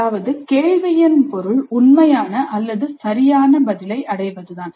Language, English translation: Tamil, That means the objective of the question is to arrive at the true or correct answer